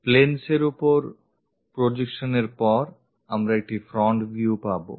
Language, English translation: Bengali, After after projection onto the planes, we will get a front view